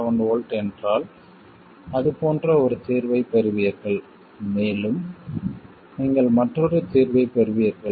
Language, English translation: Tamil, 7 volts, you would get a solution like that, and you will get yet another solution